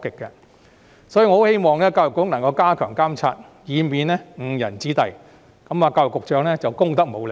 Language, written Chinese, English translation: Cantonese, 因此，我希望教育局加強監察，以免教師誤人子弟，這樣教育局局長便功德無量。, Hence I hope that EDB will step up supervision to avoid students from being led astray by such teachers . In this way the Secretary for Education would really do us a great service